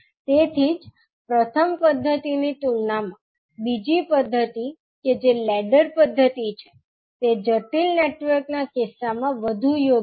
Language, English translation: Gujarati, So that is why compared to first method, second method that is the ladder method is more appropriate in case of complex networks